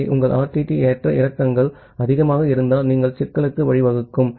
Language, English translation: Tamil, So, in case your RTT fluctuation is high you may lead to a problem